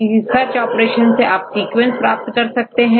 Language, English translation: Hindi, You can use any of these search options to get your sequence